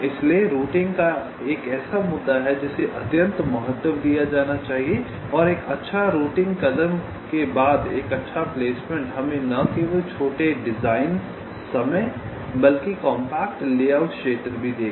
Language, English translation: Hindi, so routing is an issue which needs to be given utmost importance, and a good placement followed by a good routing step will give us not only smaller design times but also compact layout area